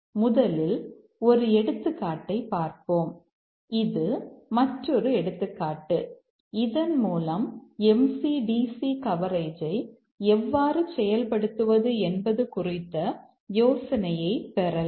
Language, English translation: Tamil, Let's first look at an example, slightly larger example, so that we can get the idea about how to achieve MCDC coverage